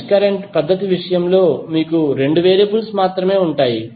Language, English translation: Telugu, While in case of mesh current method, you will have only 2 variables